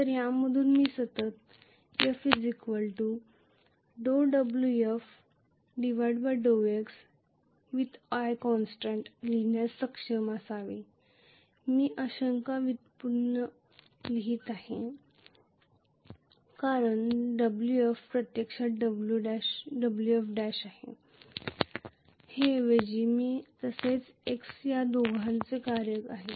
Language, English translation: Marathi, So from this I should be able to write F equal to, I am writing a partial derivative because Wf is actually Wf dash rather is a function of both i as well as x